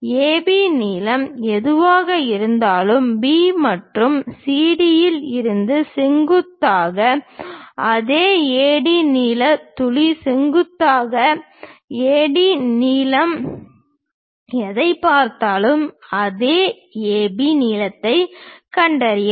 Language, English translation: Tamil, Whatever the AB length is there, locate the same AB length whatever the AD length look at the same AD length drop perpendiculars from B and CD